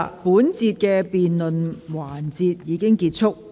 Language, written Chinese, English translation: Cantonese, 本環節的辯論時間結束。, The debating time of this section has come to an end